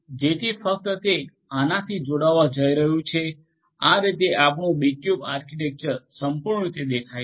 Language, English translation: Gujarati, So, only it is going to connect to these this is how your B cube architecture grossly looks like